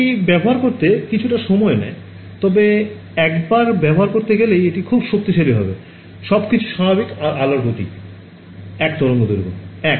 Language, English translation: Bengali, So, it takes a little getting used, but once you get to used it is very powerful everything is normal yeah speed of light is 1 wave length is 1